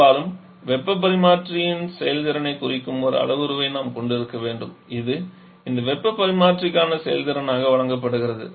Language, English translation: Tamil, Quite often we need to have one parameter which character is a performance of the heat exchanger, which is given as the effectiveness for this heat exchanger